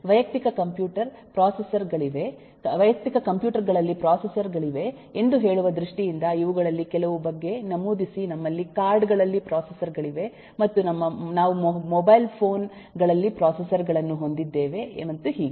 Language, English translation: Kannada, uh, we did eh mention about some of these in terms of eh, saying that we have processors in personal computers, we have processors in cards, we have processors in mobile phones and so on